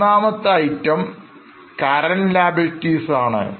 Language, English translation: Malayalam, The third item is current liability